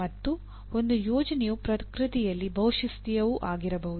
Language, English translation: Kannada, And a project can be also be multidisciplinary in nature